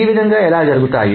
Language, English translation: Telugu, So this is the way